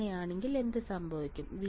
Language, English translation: Malayalam, And in this case what will happen